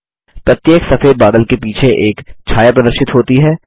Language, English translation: Hindi, A shadow is displayed behind each white cloud